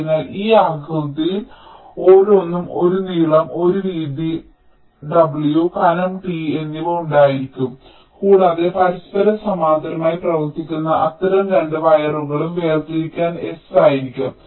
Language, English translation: Malayalam, so each of this shape will be having a length l, a width w and a thickness t, and two such wires running parallel to each other will be having a separation s